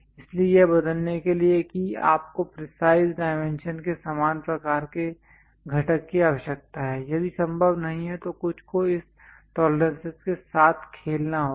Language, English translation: Hindi, So, to replace that you require similar kind of component of precise dimensions, if not possible then something one has to play with this tolerances